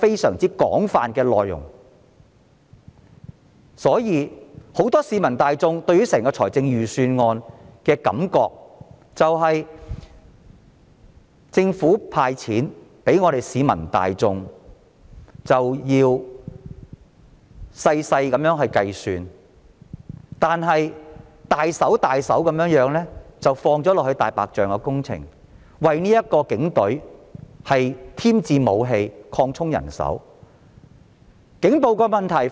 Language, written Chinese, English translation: Cantonese, 所以，很多市民對預算案的感覺是，政府"派錢"給市民要仔細計算，卻大手筆地花在"大白象"工程上，以及為警隊添置武器和擴充人手編制。, Many peoples impression of the Budget is that the Government is calculating and mean when disbursing money to the people but spends extravagantly on white elephant projects and on procuring additional weapons for the Police Force and expanding its establishment